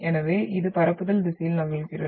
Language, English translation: Tamil, So it moves in the direction of propagation